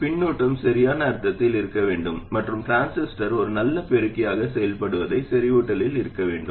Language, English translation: Tamil, The feedback has to be in the correct sense and the transistor has to be in saturation for it to behave like a good amplifier